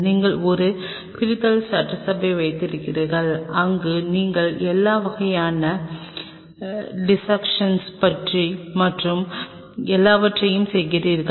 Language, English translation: Tamil, Then you have a dissection assembly where you do all sorts of dissection and everything